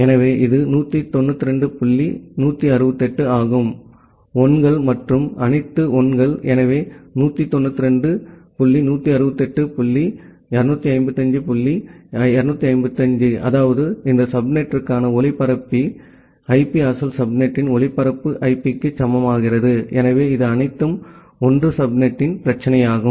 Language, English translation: Tamil, So, it is 192 dot 168 then all 1s and all 1s, so 192 168 dot 255 dot 255 that means, the broadcast IP for this subnet becomes equal to the broadcast IP of the original subnet, so that is the problem of all 1 subnet